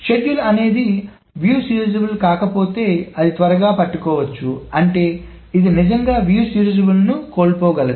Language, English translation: Telugu, So, it can quickly catch if a schedule is non view serializable, but then of course that means that it can miss a actually view serializable thing